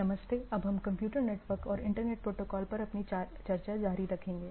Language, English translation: Hindi, Hello so, we will continue our discussion on Computer Networks and Internet Protocol